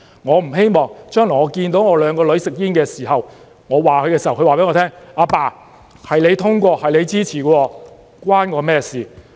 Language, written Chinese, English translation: Cantonese, 我不希望將來看到我的兩個女兒吸煙，當我責備她們的時候，她告訴我︰"爸爸，是你通過的，是你支持的，與我有關嗎？, I do not want to see my two daughters smoking in the future and telling me Dad the law was passed by you and had your support . What have I to do with this? . when I chide them